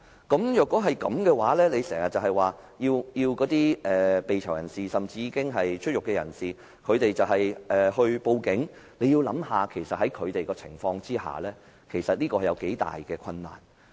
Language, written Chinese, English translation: Cantonese, 大家要想想，如果當局經常是這樣，只要求被囚的人士，甚至已出獄的人士報警，其實就他們的情況而言，這樣做有多大困難？, We should think about it . If the authorities keep on demanding inmates or ex - prisoners to report to the police as far as the situations of those inmates or ex - prisoners are concerned can we imagine how difficult would it be for these people to report to the police?